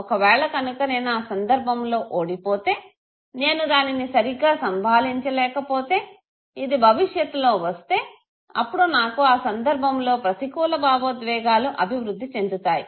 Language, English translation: Telugu, If I think that I lost in this situation and I find myself incompetent to handle this, if this comes in the future also, then fine, I am bound to develop negative emotion in the situation